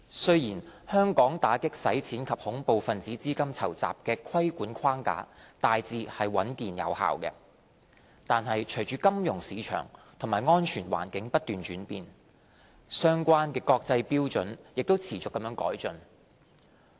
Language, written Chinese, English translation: Cantonese, 雖然香港打擊洗錢及恐怖分子資金籌集的規管框架大致穩健有效，但隨着金融市場及安全環境不斷轉變，相關的國際標準也持續改進。, Although the AMLCTF regulatory framework in Hong Kong is generally robust and effective relevant international standards have kept evolving because of the ever - changing financial market and security landscapes